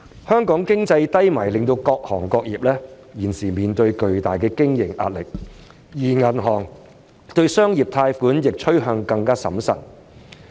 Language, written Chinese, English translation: Cantonese, 香港經濟低迷令各行業現時面對巨大的經營壓力，而銀行對商業借貸亦趨向更審慎。, Owing to the economic downturn in Hong Kong various trades are now facing tremendous operating pressure and the banks also tend to be more prudent in commercial lending